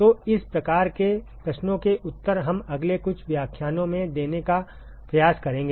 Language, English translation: Hindi, So, those kinds of questions we will try to answer in the next few lectures